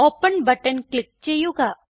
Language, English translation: Malayalam, Click on Open button